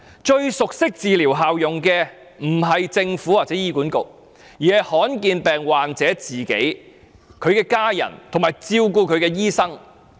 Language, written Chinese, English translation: Cantonese, 最熟悉治療效用的，不是政府或醫管局，而是罕見疾病患者、其家人及照顧他的醫生。, Those who know best the cost - effectiveness of these treatments are the rare disease patients their families and their attending doctors not the Government nor HA